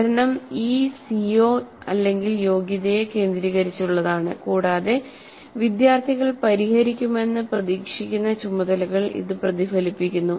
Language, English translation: Malayalam, Learning is focused around this CO competency and the tasks students are expected to solve reflect this